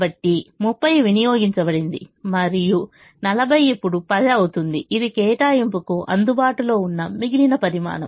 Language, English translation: Telugu, so thirty has been consumed and the forty will now become ten, which is the remaining quantity available for allocation now